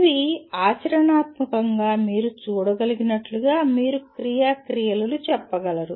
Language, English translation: Telugu, As you can see these are practically you can say action verbs